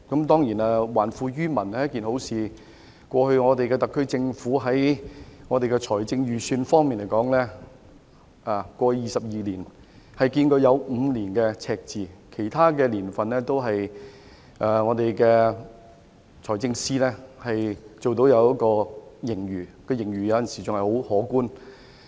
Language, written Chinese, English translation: Cantonese, 當然，還富於民是好事。特區政府在財政預算方面，在過去22年當中，只有5年出現赤字，而在其他財政年度，均有盈餘，有時很可觀。, The SAR Government recorded deficits in only five of the past 22 years of its financial budgets while surpluses were achieved in other financial years which were quite substantial sometimes